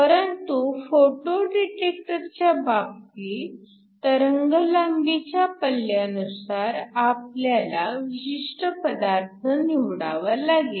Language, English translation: Marathi, The other hand in the case of a photo detector depending upon the wavelength range we will choose what material we want to use